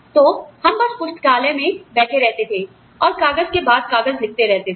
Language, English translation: Hindi, So, we would just sit in the library, and note down, paper after paper